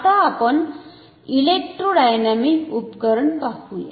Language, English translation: Marathi, Now, let us look at an electrodynamic instrument